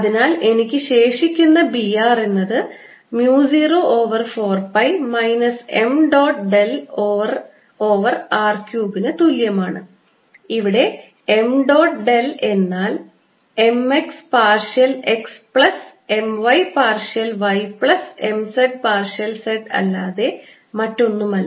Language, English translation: Malayalam, r is equal to mu naught over four pi, minus m dot del operating on r over r cubed, where m dot del operator is nothing but m x partial x plus m y, partial y plus m z, partial z